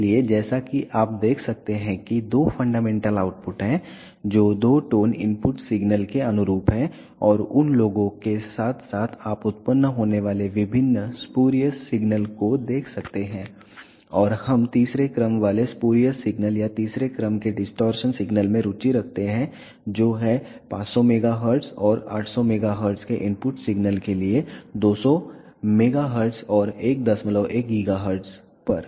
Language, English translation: Hindi, So, as you can observe there are two fundamental outputs which correspond to the two tone input signals and along with the along with those you can see various spurious signals generated and we are interested in the third order spurious signals or third order distortion signals which are at 200 megahertz and 1